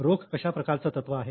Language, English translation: Marathi, Now cash is what type of item